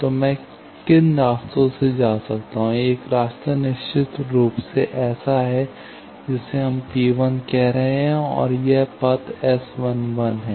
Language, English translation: Hindi, So, what are the paths by which I can do one path is definitely this one that we are calling P 1 and that value this path is S 11